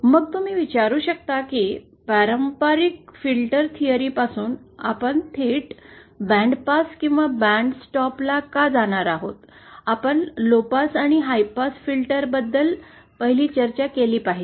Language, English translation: Marathi, Then you might ask why are we directly going to bandpass or bandstop, from traditional filter theory, we should 1st discussed about lowpass and high pass filters